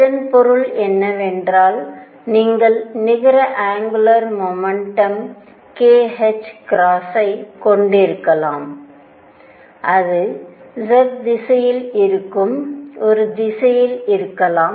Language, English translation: Tamil, What that means, is that you could have a net angular momentum k h cross and it could be in a direction which is in the z direction